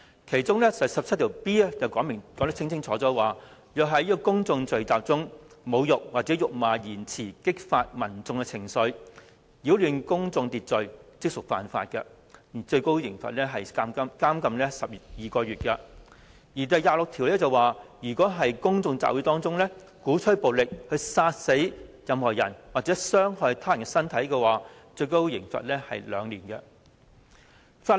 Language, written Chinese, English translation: Cantonese, 其中第 17B 條清楚訂明，任何人在公眾聚集中作出擾亂秩序行為，使用辱罵性或侮辱性的言詞，煽惑他人，即屬犯罪，可處監禁12個月。第26條訂明，任何人在公眾聚集中，倡議使用暴力，殺死任何人，或傷害他們的身體，可處監禁2年。, Section 17B expressly provides that any person who in any public place behaves in a disorderly manner or uses abusive or insulting words with intent to provoke others shall be guilty of an offence and shall be liable to imprisonment for 12 months while section 26 clearly stipulates that any person who at any public gathering incites or induces others to kill or do physical injury to any person shall be liable to imprisonment for 2 years